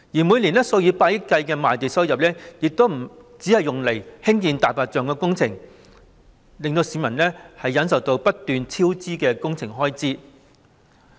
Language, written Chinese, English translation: Cantonese, 每年數以百億元計的賣地收入，就只用作興建"大白象"工程，令市民要忍受不斷超支的工程開支。, The tens of billion dollars of revenue from land sales each year is only spent on white elephant projects . As a result the public have to endure repeated project cost overruns